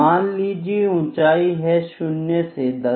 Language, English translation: Hindi, Let me say heights from 0 to 10, ok